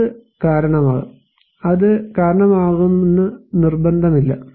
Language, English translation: Malayalam, It may cause, not necessarily that it will cause